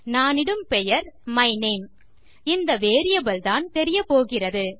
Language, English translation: Tamil, Im going to call it my name which is the variable thats going to appear